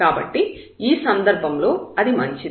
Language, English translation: Telugu, So, in that case it is fine